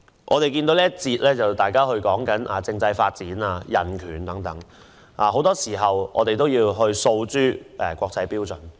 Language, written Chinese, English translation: Cantonese, 在這個環節，大家談及政制發展、人權等，我們很多時候也要遵循國際標準。, In this session we talk about constitutional development human rights etc and very often we have to comply with international standards